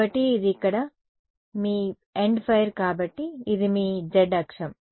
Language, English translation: Telugu, So, this is your end fire over here so, this is your z axis